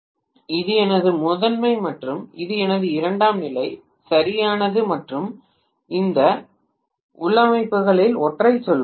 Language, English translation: Tamil, Maybe this is my primary and this has been my secondary, right and let us say one of these configurations